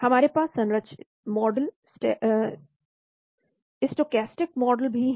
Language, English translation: Hindi, We also have structured model, stochastic model